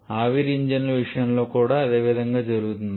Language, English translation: Telugu, Same in case of a steam engines also